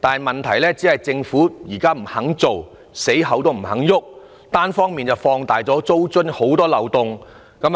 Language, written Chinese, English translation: Cantonese, 問題是，政府現時堅持不實施租管，並且單方面放大租金津貼的漏洞。, The problem is that the Government insists that it will not introduce rent control and even exaggerates the loopholes of rent control one - sidedly